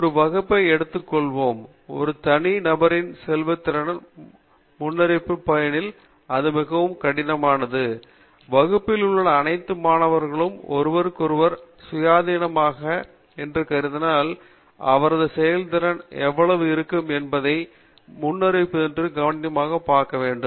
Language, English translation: Tamil, Let us take a class, and if we want to predict the performance in the class of a single individual, then it is very difficult, and if you assume that all the students in the class are independent of one another, each student is going to be difficult to predict beforehand on how his performance is going to be